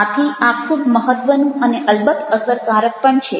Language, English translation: Gujarati, so this is also very, very important